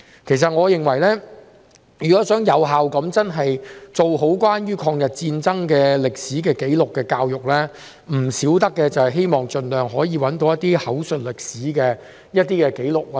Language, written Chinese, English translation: Cantonese, 其實，我認為如果想有效地做好關於抗日戰爭歷史紀錄的教育，必不可少的是要盡量搜尋口述歷史的紀錄。, In fact I consider that if we wish to conduct education on the historical records of the War of Resistance effectively it is essential to collect oral history records as far as possible